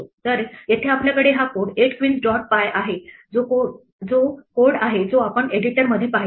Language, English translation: Marathi, So, here we have this code 8 queens dot py which is the code that we just saw in the editor